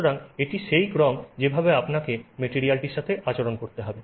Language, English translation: Bengali, So, this is the sequence with which you have to deal with the material